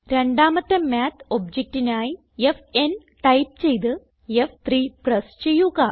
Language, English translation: Malayalam, And type f n and press F3 to bring up the second Math object